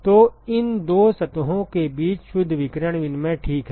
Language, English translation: Hindi, So, that is the net radiation exchange between these two surfaces ok